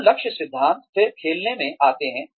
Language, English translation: Hindi, So, the goal theory, then comes into play